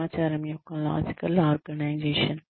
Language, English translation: Telugu, Logical organization of information